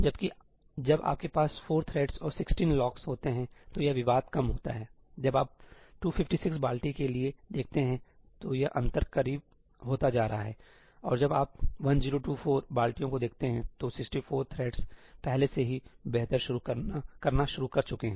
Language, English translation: Hindi, Whereas, when you have 4 threads and 16 locks, that contention is less; when you see for 256 buckets, this gap is becoming closer; and when you look at 1024 buckets, then 64 threads has already started to do better